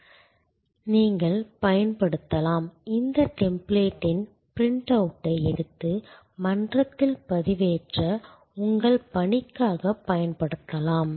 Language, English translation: Tamil, And you can use, you can take a print out of this template and use it for your assignment for uploading on to the forum